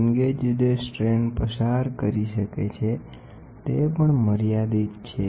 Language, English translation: Gujarati, Here, the strains what the strain gauges can undergo is also limited